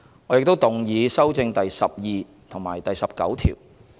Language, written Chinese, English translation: Cantonese, 我亦動議修正第12及19條。, I also move the amendments to clauses 12 and 19